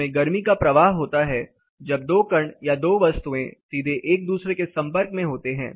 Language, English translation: Hindi, It has a transfer of heat when two particles or two bodies are directly in contact with each other